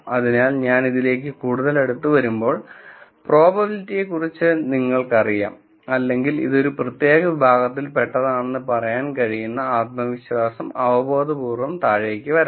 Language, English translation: Malayalam, So, as I come closer and closer to this then you know the probability, or the confidence with which I can say it belongs to particular class, can intuitively come down